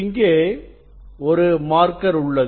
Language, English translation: Tamil, there is a marker here